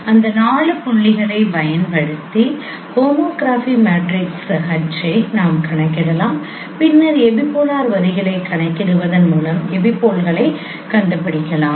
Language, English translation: Tamil, So you can compute the homography matrix H Py using those four points and then you can find out the epipoles by computing the epipolar line